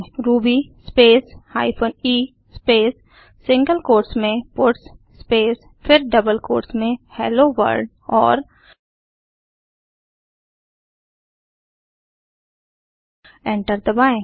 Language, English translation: Hindi, Type the command ruby space hyphen e space within single quotes puts space then within double quotes Hello World and Press Enter